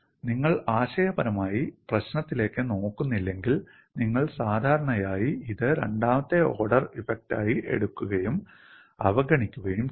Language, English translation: Malayalam, If you do not conceptually look at the problem, you would normally take that as a second order effect and ignore it, this is what engineers will do